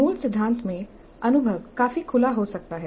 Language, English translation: Hindi, So in the original theory the experience can be quite open ended